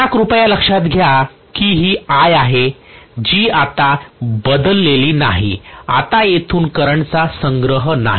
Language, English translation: Marathi, Now please note that this is I that has not changed now that is no collection of current from here